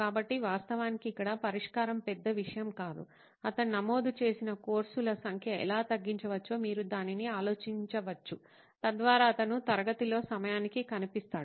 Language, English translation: Telugu, So actually solution here is no big deal, you can actually boil it down to how might we reduce the number of courses that he enrols, so that he shows up on time in class